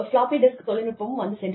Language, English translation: Tamil, Floppy disk industry, come and go